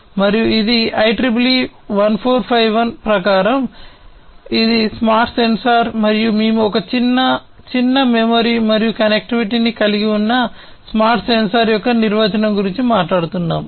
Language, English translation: Telugu, And this is as per the IEEE 1451 standard, so this is a smart sensor and we are talking about the definition of a smart sensor having some kind of small memory and some connectivity, you know, attached to it